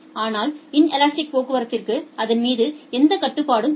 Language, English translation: Tamil, But inelastic traffic do not have any control over that